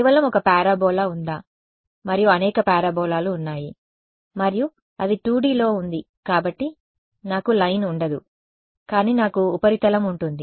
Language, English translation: Telugu, Just to see is there one parabola and there are several parabolas what is there right and its in 2 D so, I will not have a line, but I will have a surface